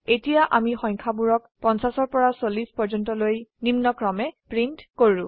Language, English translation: Assamese, As we can see, the numbers from 50 to 40 are printed